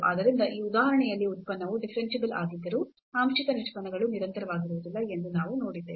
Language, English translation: Kannada, So, in this example we have seen that the partial derivatives are not continuous though the function is differentiable